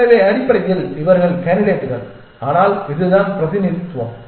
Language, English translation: Tamil, So, essentially these are the candidates but this is the representation